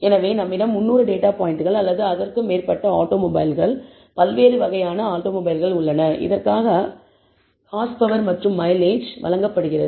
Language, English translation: Tamil, So, we have 300 data points or more of automobiles, different types of automobiles, for which the horsepower and the mileage is given